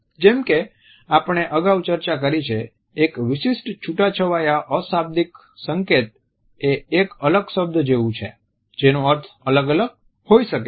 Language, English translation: Gujarati, As we have discussed earlier a particular isolated nonverbal signal is like an isolated word which may have different meanings